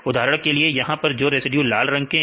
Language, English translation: Hindi, For example here some region these residues in red